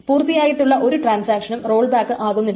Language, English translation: Malayalam, So, no completed transaction rolls back